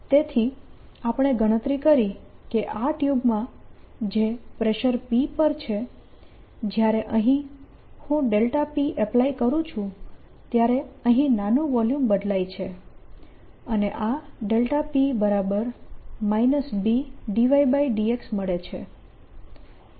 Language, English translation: Gujarati, so what we calculated is that in this tube which is at pressure p, when i apply a delta p here, the small volume here changes and this delta p is given as minus b d y by d x